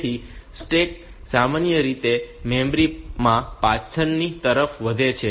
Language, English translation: Gujarati, So, the stack normally grows backwards into memory